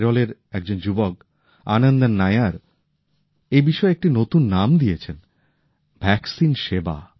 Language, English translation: Bengali, A youth Anandan Nair from Kerala in fact has given a new term to this 'Vaccine service'